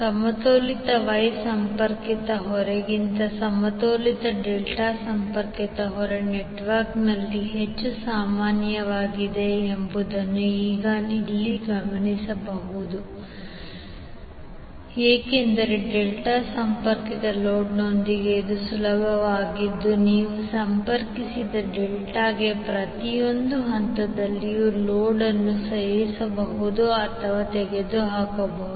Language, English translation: Kannada, Now it is important to note here that the balanced delta connected load is more common in the network than the balanced Y connected load, because it is easy with the delta connected load that you can add or remove the load from each phase of the delta connected load